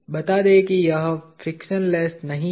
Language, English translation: Hindi, Let us say it is not frictionless